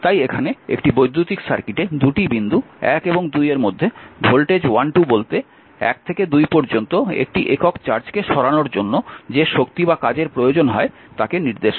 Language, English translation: Bengali, Therefore when you come here thus the voltage V 12 between 2 points say 1 and 2 in an electric circuit is that energy or work needed to move, a unit charge from 1 to 2